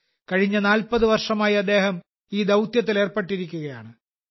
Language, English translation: Malayalam, He has been engaged in this mission for the last 40 years